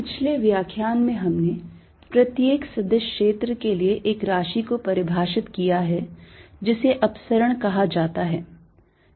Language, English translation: Hindi, in the previous lecture, for every vector field we defined a quantity called the divergence